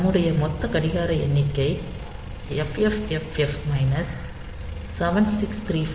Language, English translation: Tamil, So, our total clock count is FFFF minus 7 6 3 4 plus 1